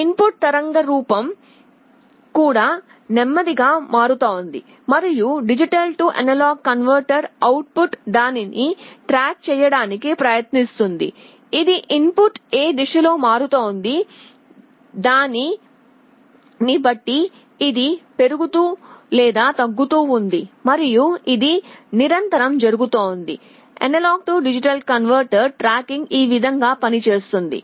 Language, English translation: Telugu, The input waveform is also changing slowly and D/A converter output is trying to track it, it is a either increasing or decreasing depending on which direction the input is changing and this is happening continuously; this is how tracking AD converter works